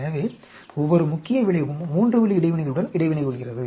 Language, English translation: Tamil, So, each main effect is interacting with the 3 way interaction